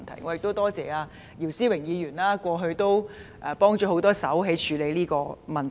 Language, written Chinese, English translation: Cantonese, 我多謝姚思榮議員過去協助處理這個問題。, I thank Mr YIU Si - wing for assisting in handling the problems in the past